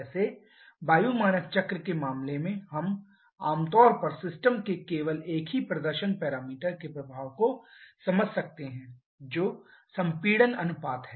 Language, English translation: Hindi, Like in case of air standard cycle we generally can understand the effect of only a single performance parameter of the system which is the compression ratio